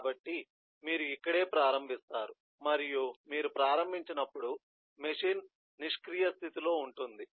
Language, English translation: Telugu, so this is where you start and when you start, the machine is in a idle state